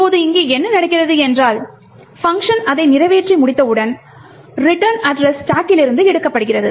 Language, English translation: Tamil, Now what happens here is that when the function completes it execution and returns, the return address is taken from the stack